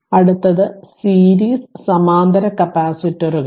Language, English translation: Malayalam, Next one is series and parallel capacitors